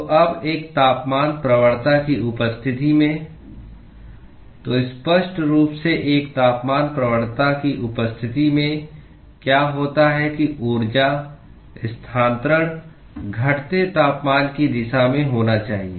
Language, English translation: Hindi, So, now, in the presence of a temperature gradient so clearly in the presence of a temperature gradient, what happens is that the energy transfer must occur in the direction of decreasing temperature